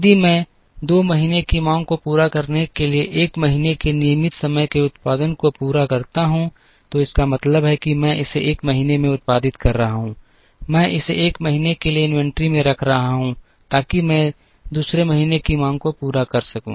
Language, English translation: Hindi, If I meet the 1st months regular time production to meet the 2nd months demand, it means I am producing it in the 1st month, I am holding it in inventory for 1 month, so that I can meet the 2nd months demand